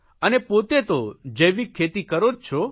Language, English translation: Gujarati, They are organic fertilizer themselves